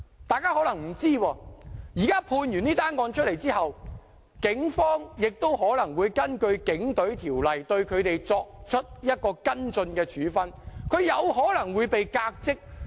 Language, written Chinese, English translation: Cantonese, 大家可能不知道，這宗案件有判決後，警方可能會根據《警隊條例》對他們作出跟進處分，他們有可能會被革職。, Members may not know that after a verdict is made on this case the Police Force may take follow - up disciplinary actions against them under the Police Force Ordinance which may lead to their dismissal